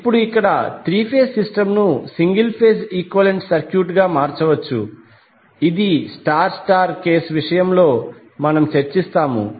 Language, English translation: Telugu, Now the 3 phase system here can be replaced by single phase equivalent circuit which we discuss in case of star star case